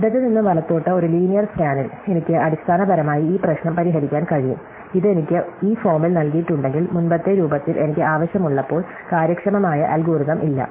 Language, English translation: Malayalam, So, in a linear scan from left to right, I can basically solve this problem, if it is given to me in this form, whereas in the earlier form I need, there is no efficient algorithm